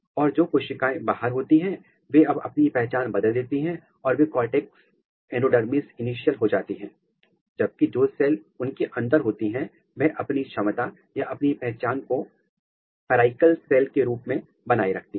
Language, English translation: Hindi, And, the cells which are outside they now switch their identity and they become cortex endodermis initial; whereas, the cell which is inside they retain its capability or its identity as pericycle cells